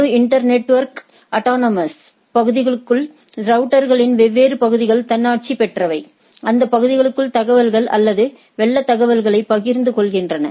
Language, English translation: Tamil, That the whole internetwork autonomous, autonomous into different area routers within the area basically share information or flood information inside that areas